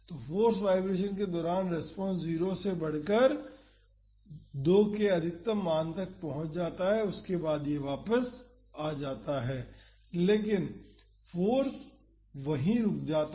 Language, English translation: Hindi, So, during the force vibration the response grows from 0 to the maximum value of 2 and after that it is oscillating back, but the force stops there